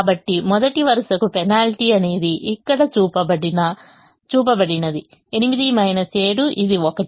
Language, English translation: Telugu, so the penalty for the first row is shown here, which is eight minus seven, which is one